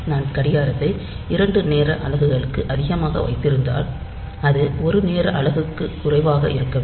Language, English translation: Tamil, So, if I put the clock be high for two times and two time units if the clock is high then it should be low for one time unit